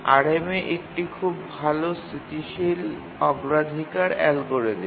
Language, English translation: Bengali, So, RMA is a very good static priority algorithm